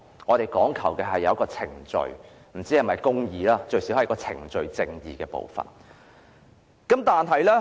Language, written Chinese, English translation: Cantonese, 我們講求有一個程序，不知是否公義，但最低限度有程序上的公義。, Although we do not know if there is justice there is at least procedural justice